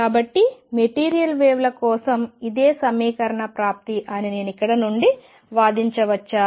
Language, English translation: Telugu, So, can I argue from here that a similar equation access for material waves